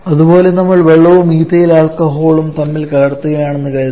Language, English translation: Malayalam, Similarly, if we take suppose, say water and ethyl alcohol and we mix them together